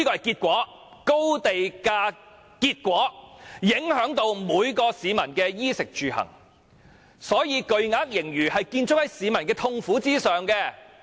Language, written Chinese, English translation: Cantonese, 高地價的結果影響每名市民的衣、食、住、行，所以巨額盈餘是建築在市民的痛苦上。, The high land premium policy has affected each and every member of the public in respect of food clothing accommodation and transportation . Thus the huge surplus is built on the sufferings of the general public